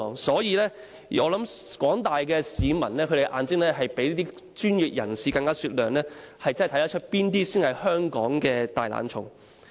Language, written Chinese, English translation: Cantonese, 所以，我想廣大市民的眼睛比專業人士的更為雪亮，可以看得出誰人才是香港的"大懶蟲"。, Hence I think the eyes of the general public are more discerning than those of the professionals and the former can see who the lazy bones of Hong Kong are